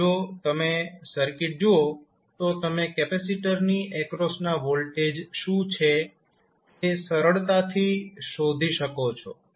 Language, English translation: Gujarati, Now, if you see the circuit you can easily find out what would be the voltage across capacitor